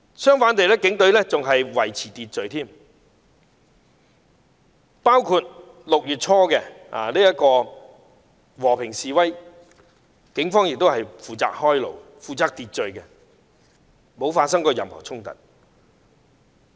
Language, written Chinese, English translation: Cantonese, 相反，警隊還會負責維持秩序，包括在6月初的和平示威時，警方亦有負責開路及維持秩序，並沒有發生任何衝突。, On the contrary the Police would be there to maintain order . At the peaceful demonstration in early June the Police were also responsible for clearing the way for the procession and maintaining order . There was no conflict